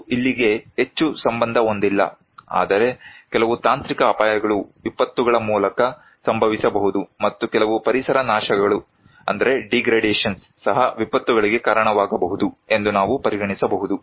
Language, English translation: Kannada, We are also not very related to here, but we can also consider some technological hazards can happen through disasters and also some environmental degradations which can also cause disasters